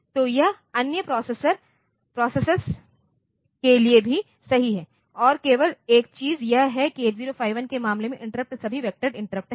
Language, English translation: Hindi, So, that is true for other processes also and the only thing is that in case of 8 0 5 1 the interrupts are all vectored interrupts